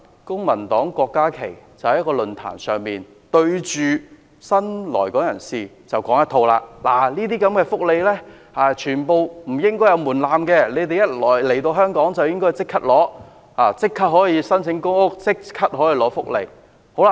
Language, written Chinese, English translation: Cantonese, 郭議員在一個論壇上，對着新來港人士說不應該就這些福利設置門檻，他們來港後，應該可以立刻申請公屋和福利。, In a forum Dr KWOK said in front of the new immigrants that they should be allowed to apply for public housing and welfare immediately after arrival in Hong Kong without any restrictions